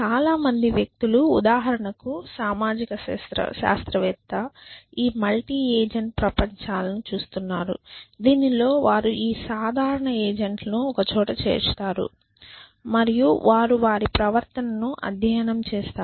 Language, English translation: Telugu, So, a lot of people for example, social scientist are looking at these multi agent worlds in which they put together this simple agents and they study the behavior of those